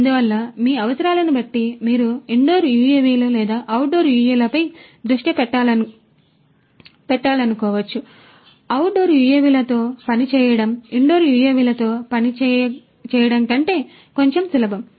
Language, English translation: Telugu, And you know so depending on your requirements you might want to focus on indoor UAVs or outdoor UAVs, working with outdoor UAVs is bit easier than working with indoor UAVs